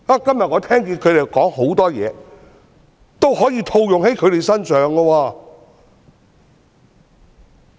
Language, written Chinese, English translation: Cantonese, 今天我聽到他們很多言論，其實也可以套用在他們身上。, Today many remarks made by those Members can in fact apply to them as well